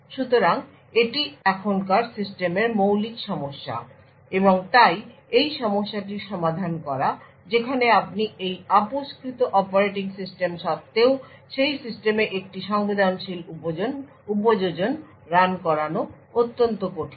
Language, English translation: Bengali, So, this is the basic problem in today’s system and therefore solving this problem where you run a sensitive application in the system in spite of a compromised operating system is extremely difficult